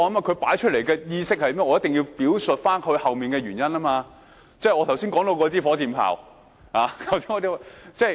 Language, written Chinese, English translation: Cantonese, 他提出來的觀點，我一定要表述背後的原因，即是我剛才談到火箭炮的比喻。, I ought to elaborate on the reasons behind his viewpoints by means of the metaphor of rocket that I have just made